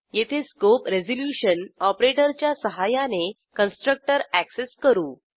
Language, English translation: Marathi, Here we access the constructor using the scope resolution operator